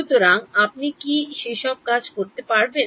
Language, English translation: Bengali, So, after having done all of that what you get